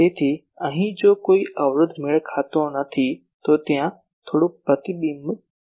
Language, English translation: Gujarati, So, here if there is an impedance mismatch, then there will be some reflection